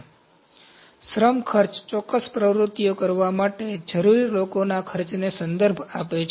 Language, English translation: Gujarati, So, labour costs refer to the cost of the people required to perform specific activities